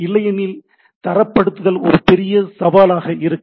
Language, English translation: Tamil, Otherwise the standardization will be a major challenge